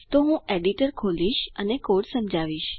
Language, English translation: Gujarati, So, Ill open the editor and explain the code